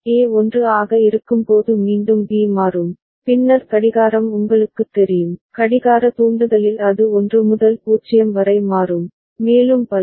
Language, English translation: Tamil, Again B will change when A is 1, then the clock is you know, at the clock trigger it will change from 1 to 0 and so on and so forth